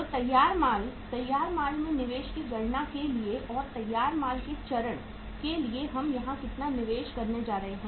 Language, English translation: Hindi, So for calculating the investment in the finished goods, finished goods and for the finished goods stage how much investment we are going to make here